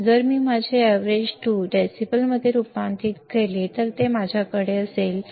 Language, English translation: Marathi, If I convert my Av2 into decibels, I will have 20 log 4